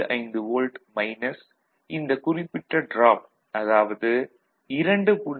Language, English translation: Tamil, 75 minus this particular drop, so 3